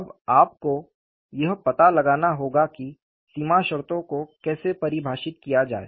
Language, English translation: Hindi, Now, you will have to find out how to define the boundary conditions